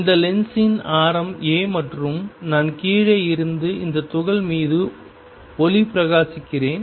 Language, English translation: Tamil, And the radius of this lens is a and I am shining light on this particle from below